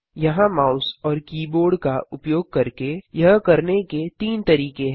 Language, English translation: Hindi, There are three ways of doing this using the mouse and the keyboard